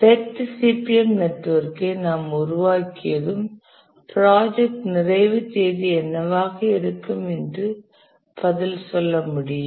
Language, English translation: Tamil, Once we develop the PUTC MP network, we can be able to answer that what will be the project completion date